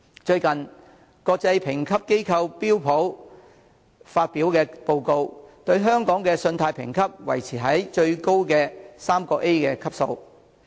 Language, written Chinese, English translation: Cantonese, 最近，國際評級機構標準普爾發表的報告，對香港的信貸評級維持在最高的 AAA 級。, According to its recent report the international rating agency Standard Poors has maintained its highest AAA credit rating for Hong Kong